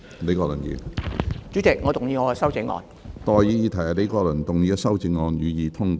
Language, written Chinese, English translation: Cantonese, 我現在向各位提出的待議議題是：李國麟議員的修正案，予以通過。, I now propose the question to you and that is That Prof Joseph LEEs amendment be passed